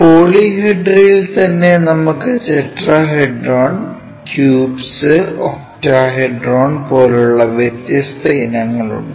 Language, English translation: Malayalam, In polyhedra we have different varieties like tetrahedron, cubes, and octahedron